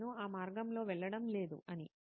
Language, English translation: Telugu, I am not going down that path